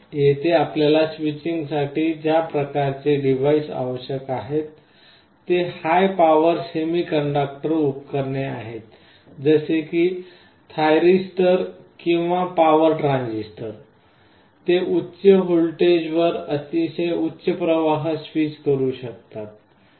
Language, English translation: Marathi, Here the kind of devices you require for the switching are high power semiconductor devices like thyristors or power transistors, they can switch very high currents at high voltages